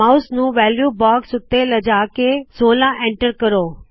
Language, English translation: Punjabi, Move the mouse to the value box and enter 16